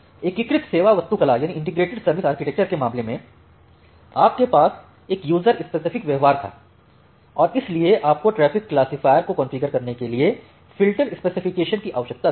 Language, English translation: Hindi, In case of your integrated service architecture you had this user specific behaviour, and that is why you had the requirement of the filterspec to configure the traffic classifier